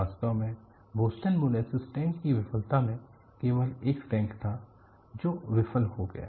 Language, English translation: Hindi, In fact,in Boston molasses tank failure, there was only one tank that failed